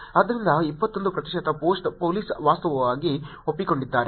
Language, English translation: Kannada, So, acknowledged 21 percent of the post police actually acknowledged